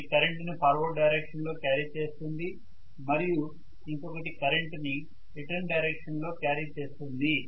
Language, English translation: Telugu, So one is carrying the current in forward direction, the other one is carrying the current in the return direction